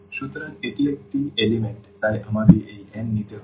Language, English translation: Bengali, So, this is one element so, let me take this n